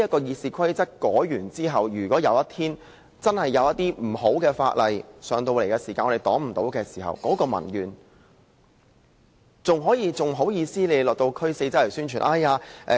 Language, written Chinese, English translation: Cantonese, 《議事規則》修改後，如果有一天真的有些不好的法案提交予立法會而我們又未能阻擋時，民怨便無法紓解。, After RoP is amended should a bad bill be tabled before this Council one day and we are unable to block it there will be no way for public grievances to be eased